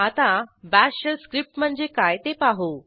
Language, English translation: Marathi, Now let us see what a Bash Shell script is